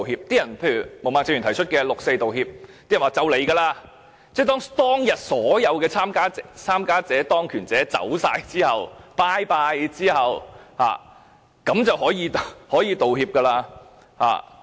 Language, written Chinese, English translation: Cantonese, 毛孟靜議員剛才談到的六四道歉，大家都說快要來了，當所有參與事件的人民和當權者離開後，便可以道歉了。, Many said the apology over 4 June as indicated by Ms Claudia MO was just around the corner . They anticipate seeing an apology after the incident participants and the then rulers have passed away